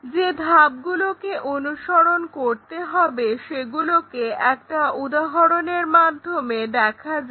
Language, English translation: Bengali, Steps to be followed, let us pick it through an example